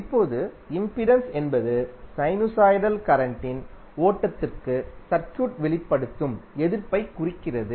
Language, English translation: Tamil, Now impedance represents the opposition that circuit exhibits to the flow of sinusoidal current